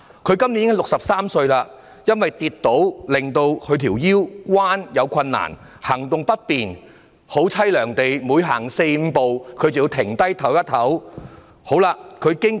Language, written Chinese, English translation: Cantonese, 她今年已63歲，因為跌倒，令她彎腰有困難，行動不便，她每走四五步便要稍作休息，境況實在悽涼。, Now 63 years old she has difficulty bending down and walking due to a previous fall . Needing to take a short rest after walking four or five steps she is truly in a desolate condition